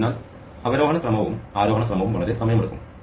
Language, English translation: Malayalam, So, both descending order and ascending order take a long time